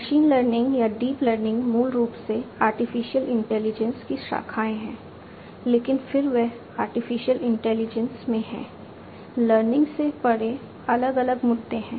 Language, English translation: Hindi, Machine learning or deep learning are basically branches of artificial intelligence, but then they are in artificial intelligence beyond learning there are different issues